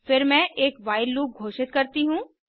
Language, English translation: Hindi, Then I declare a while loop